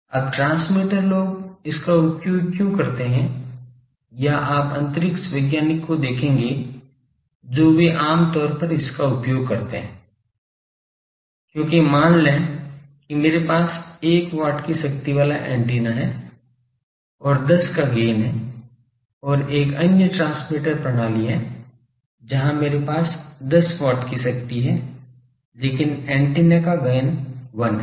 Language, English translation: Hindi, Now why transmitter people use it or you will see the space scientist they generally use this, because suppose I have an antenna with 1 watt power and gain of 10 and another transmitter system I have; where I have 10 watt power, but gain of the antenna is 1